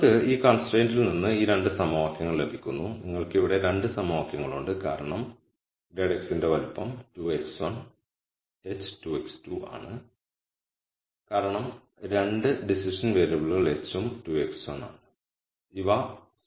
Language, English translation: Malayalam, So, you kind of back out these 2 equations from this constraint and you have 2 equations here because grad of x is of size 2 by 1 h is 2 by 1 2 by 1 because there are 2 decision variables and these are scalars and this is a linear weighted sum